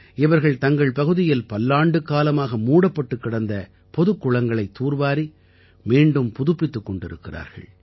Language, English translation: Tamil, These people are rejuvenating public wells in their vicinity that had been lying unused for years